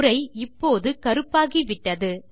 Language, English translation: Tamil, The text is now black in color